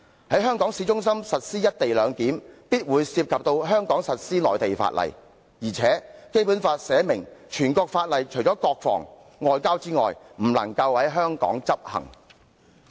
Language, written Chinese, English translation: Cantonese, 在香港市中心進行"一地兩檢"，必會涉及在港實施內地法例的問題，況且《基本法》已訂明，除了國防、外交之外，全國性法例不能在香港執行。, Inevitably implementation of the co - location arrangement in Hong Kongs town centre must give rise to the issue of enforcing Mainland laws in Hong Kong because it is provided in the Basic Law that national laws other than those on national defence and diplomacy shall not be applied in Hong Kong